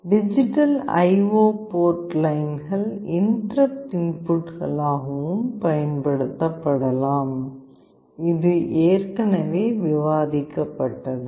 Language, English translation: Tamil, The digital I/O port lines can be used as interrupt inputs as well; this is already discussed